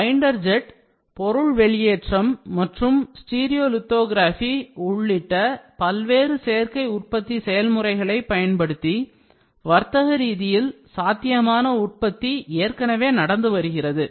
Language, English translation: Tamil, Commercially viable production is already underway using various additive manufacturing processes, including binder jetting, material extrusion and stereolithography